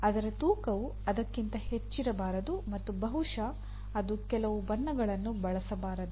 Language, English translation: Kannada, Its weight should not be more than that and possibly it should not use some colors